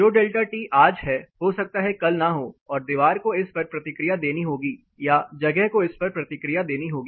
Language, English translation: Hindi, What is a delta T today may not be there tomorrow and the wall has to respond to it or the space rather has to respond to it